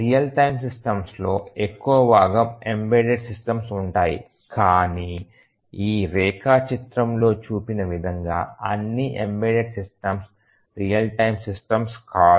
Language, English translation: Telugu, So, we have majority of the real time systems are embedded systems, but not all embedded systems are real time systems as shown in this diagram and also there are some real time systems which are not embedded